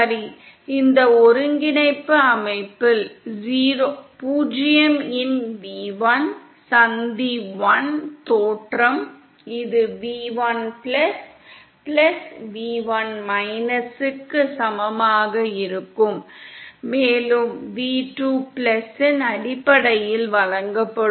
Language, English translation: Tamil, Ok so then v1 of 0 in this coordinate system, where junction 1 is the origin, that will be equal to (v1+) + & that in terms of v2+ will be given by